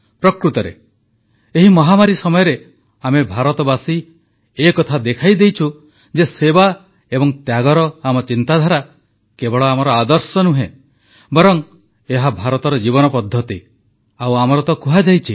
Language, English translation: Odia, In fact, during this pandemic, we, the people of India have visibly proved that the notion of service and sacrifice is not just our ideal; it is a way of life in India